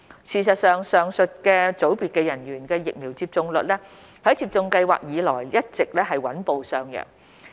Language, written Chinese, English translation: Cantonese, 事實上，上述組別人員的疫苗接種率在接種計劃開展以來一直穩步上揚。, In fact the vaccination rates of these groups of personnel have been on a steady rise since the launch of the vaccination programme